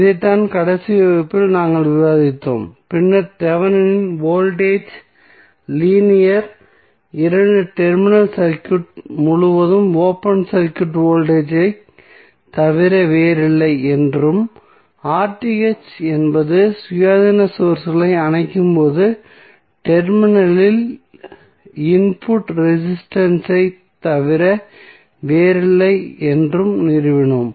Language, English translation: Tamil, So, this is what we discussed in the last class and then we stabilized that Thevenin voltage is nothing but open circuit voltage across the linear two terminal circuit and R Th is nothing but the input resistance at the terminal when independent sources are turned off